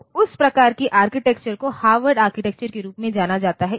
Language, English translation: Hindi, So, that type of architecture is known as Harvard architecture